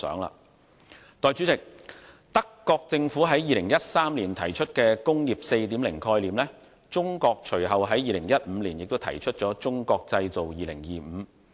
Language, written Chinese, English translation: Cantonese, 代理主席，德國政府在2013年提出"工業 4.0" 概念，而中國隨後在2015年亦提出《中國製造2025》。, Deputy President while the German Government put forward the concept of Industry 4.0 in 2013 China also proposed the Made in China 2025 strategy in 2015